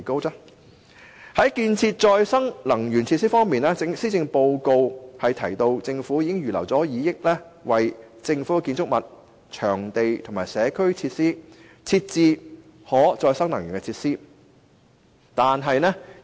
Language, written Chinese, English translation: Cantonese, 在建設可再生能源設施方面，施政報告提到政府已預留2億元為政府建築物、場地及社區設施等設置可再生能源設施。, Speaking of renewable energy installations the Policy Address states that the Government has earmarked 200 million for the provision of renewable energy installations in government buildings and venues as well as community facilities